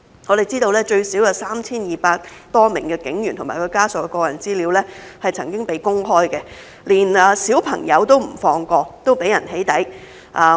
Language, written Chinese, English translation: Cantonese, 我們知道最少有 3,200 多名警員和其家屬的個人資料曾經被公開，連小朋友都不放過，都被人"起底"。, We learn that the personal data of at least 3 200 police officers and their family members have been made public and even children have also been doxxed